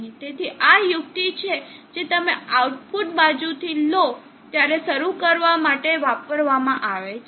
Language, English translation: Gujarati, So this is the trick that is done for starting up in case you take from the output side